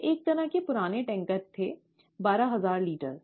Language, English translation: Hindi, These were kind of old tankers, twelve thousand litres